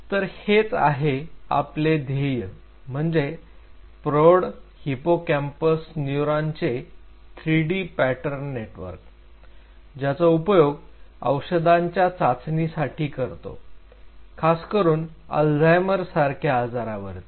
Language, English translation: Marathi, So, this is what we are targeting 3D pattern network of adult hippocampal neurons as a testbed for screening drugs potential drug candidate against Alzheimer’s disease